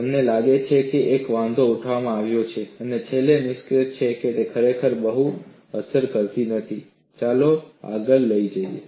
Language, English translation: Gujarati, You find that there is an objection raised, and finally, the conclusion is, it is not really affecting much; let us carry forward